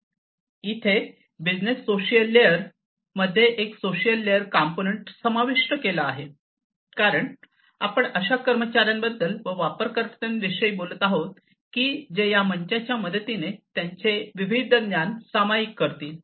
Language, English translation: Marathi, There is a social layer component that is introduced in the business social layer; because we are talking about employees we are talking about users who will share their different knowledges with the help of these platforms